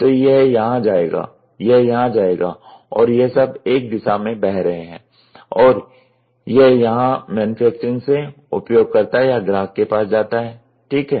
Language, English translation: Hindi, So, this will go here, this will go here and this is all flowing in one direction and this will go from here to here and then we from manufacturing it goes to user or customer, ok